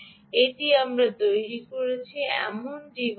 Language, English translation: Bengali, this is the device that we have built